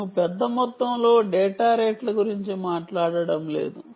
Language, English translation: Telugu, right, we are not talking of large amount of data rates